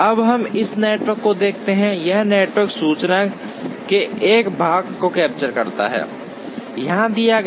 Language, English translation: Hindi, Now, let us look at this network, this network captures a part of the information that is given here